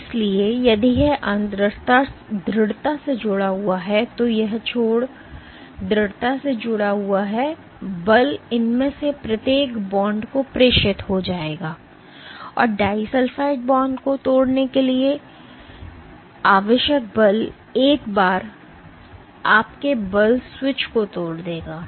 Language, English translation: Hindi, So, if this end is strongly attached and this end is strongly attached then force will get transmitted to each of these bonds and the force required to disulfide to break the disulfide bond will break the once your force switches that magnitude